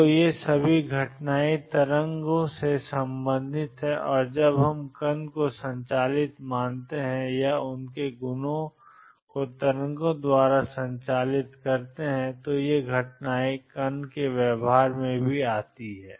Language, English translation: Hindi, So, these are all phenomena concerned with waves and when we consider particles as being driven by or their properties been driven by waves these phenomena come into particles behavior also